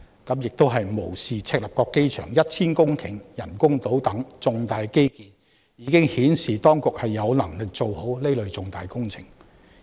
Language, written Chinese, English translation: Cantonese, 他們此舉無視赤鱲角機場 1,000 公頃人工島等重大基建的成功顯示當局過往已有能力做好此類重大工程。, Their actions disregard the fact that the successes of major infrastructure projects such as the 1 000 - hectare artificial island of the airport in Chek Lap Kok have demonstrated the competence of the authorities in delivering such sizeable projects in the past